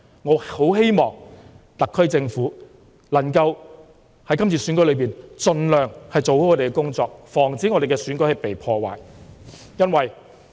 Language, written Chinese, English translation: Cantonese, 我十分希望特區政府能夠在今次選舉中，盡量做好其工作，防止選舉被破壞。, I very much hope that the SAR Government can make all - out effort to prevent the Election from being disrupted